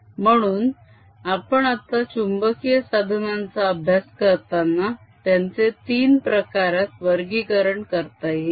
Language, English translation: Marathi, so we are going to deal with magnetic materials, which can be broadly classified into three kinds